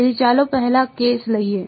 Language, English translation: Gujarati, So, let us take the up case first